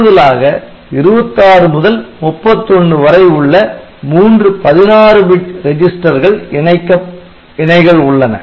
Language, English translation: Tamil, So, pointer register; so, there are three additional the 16 bit register pairs registers 26 to 31